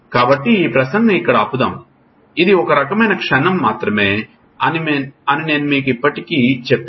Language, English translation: Telugu, So, we will stop at this speech as I already told you it is a sort of moment only